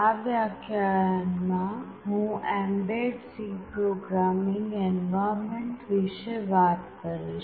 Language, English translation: Gujarati, In this lecture I will be talking about mbed C Programming Environment